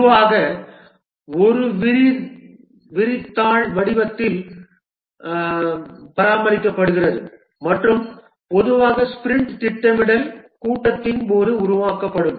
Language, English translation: Tamil, It typically maintains it in the form of a spread set and usually created during the sprint planning meeting